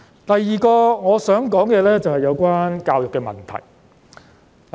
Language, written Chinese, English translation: Cantonese, 第二個我想討論的，是有關教育的問題。, The second point that I wish to discuss concerns the issues about our education